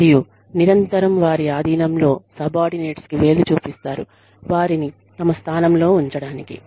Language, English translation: Telugu, And, they constantly point fingers at their subordinates, to keep them in their place